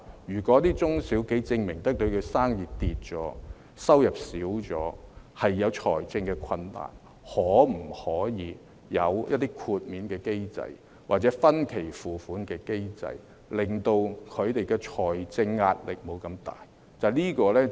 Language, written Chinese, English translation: Cantonese, 如果中小企能夠證明生意下跌、收入減少、面對財政困難，可否有一些豁免機制，或分期付款的機制，令他們的財政壓力得以減輕？, If SMEs can prove that they are facing financial difficulties due to dropping business and decreasing income can there be some exemption or instalment mechanisms to ease their financial pressure?